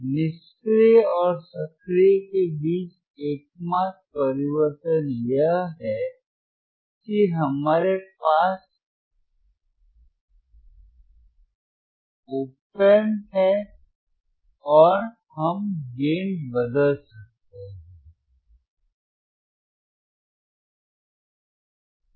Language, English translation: Hindi, So, t The only change between passive and active is that, here we have op amp and we can change the gain